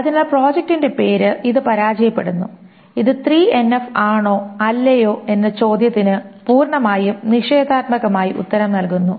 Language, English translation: Malayalam, So project name, this fails and the entire question of whether this is 3NF or not is answered in the negative